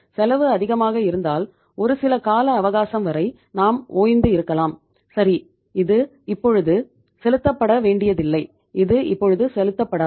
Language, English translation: Tamil, If the cost is high so some means we can be relaxed for some period of time that okay that is not going to be paid now, it is not becoming due now, we have to make the payment after some period of time